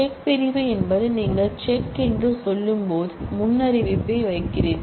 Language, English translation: Tamil, The check clause is where you say check and then you put a predicate